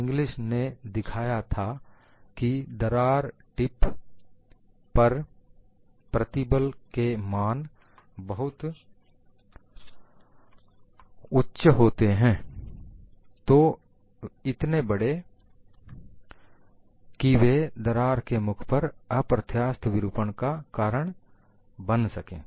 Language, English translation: Hindi, Inglis showed that the stresses at the crack tips are quite large; so large that they cause anelastic deformation in front of the crack tip